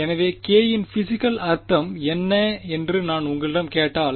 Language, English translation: Tamil, So, if I ask you what is the physical meaning of k